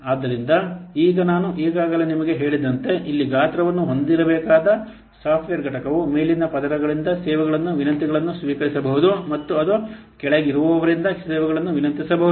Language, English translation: Kannada, So now as I have already told you that here, the software component that has to be sized can receive requests for services from layers above and it can request services from those below it